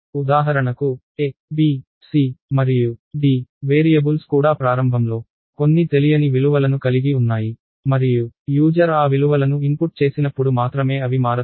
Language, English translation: Telugu, So, for instance even the variables a, b, c and d they had some unknown values initially and they changed only when the user input those values